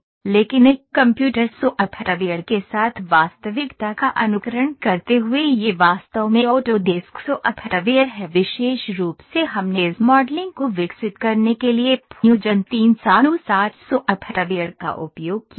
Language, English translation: Hindi, But in simulating reality with a computer software this is actually the auto desk software’s specifically we have used Fusion 360 software to develop this modelling